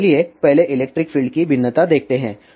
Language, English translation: Hindi, So, let us first see the variation of electric field